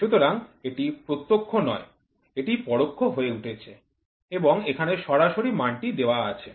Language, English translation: Bengali, So, it is not direct, it is becomes indirect and get the value